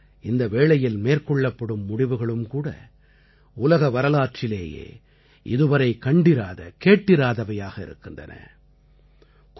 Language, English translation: Tamil, Hence the decisions being taken during this time are unheard of in the history of the world